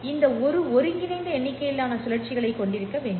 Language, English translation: Tamil, It has to have an integral number of cycles